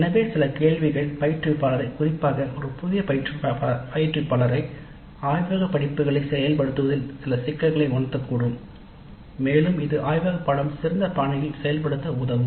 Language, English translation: Tamil, So some of the questions may sensitize the instructor, particularly a novice instructor to some of the issues in implementing the laboratory courses and that would help probably in implementing the laboratory course in a better fashion